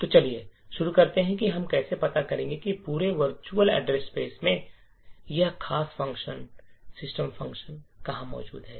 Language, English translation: Hindi, So, let us start with how we find out where in the entire virtual address space is this particular function system present